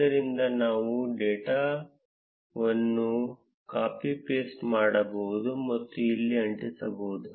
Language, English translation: Kannada, So, we can just copy paste the data and paste it here